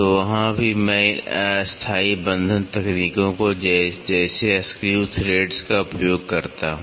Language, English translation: Hindi, So, there also I use these temporary fastening techniques like screw threads